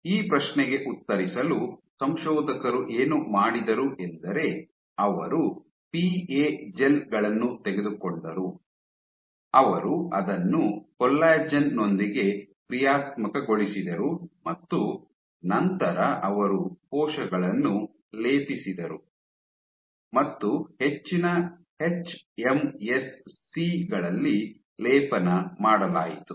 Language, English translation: Kannada, So, to ask this to answer this question, what authors did was they took PA gels, they functionalized it with collagen and then they plated cells on top hMSCs were plated